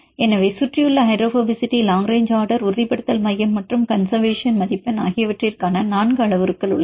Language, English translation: Tamil, So, they are the 4 parameters for surrounding hydrophobicity, long range order, stabilization center and the conservation score